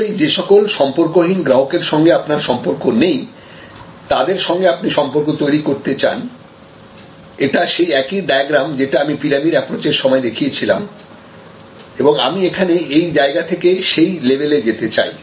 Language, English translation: Bengali, Obviously, the customers who have no relationship you want to move them to this relation, this is the same diagram that I showed you in a little while earlier by my pyramid approach, where from here I want to go to this level